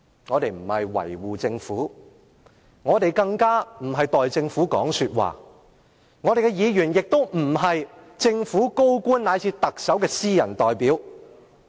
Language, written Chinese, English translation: Cantonese, 我們不是要維護政府，也不是要代政府發言，立法會議員更不是政府高官，乃至特首的私人代表。, We are not here to defend or speak for the Government and Members of the Legislative Council are no senior government officials or private representatives of the Chief Executive